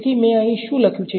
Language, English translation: Gujarati, So, what I have written over here